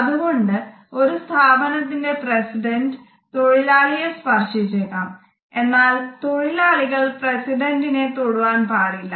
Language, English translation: Malayalam, So, the president of the company may touch the office employees, but the employees would never touch the president